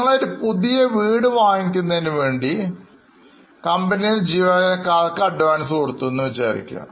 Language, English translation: Malayalam, For example, suppose company gives advance to employee to purchase new house